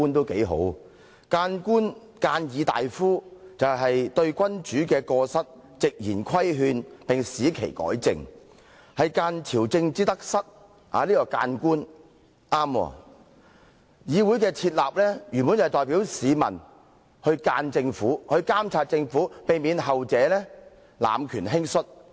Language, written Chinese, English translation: Cantonese, 諫官或諫議大夫的職責，是對君主的過失直言規勸並使其改正，諫朝政之得失。議會原本的職能是代表市民諫政府、監察政府，以防後者濫權輕率。, The duties of a remonstrance official or an imperial admonisher were to bluntly admonish the emperor for his faults make him right his wrongs and advise him on the merits and demerits of state policies while the original function of the legislature is to admonish and monitor the Government on behalf of the people thereby preventing the Government from abusing its power and acting rashly